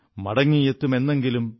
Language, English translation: Malayalam, Shall return one day,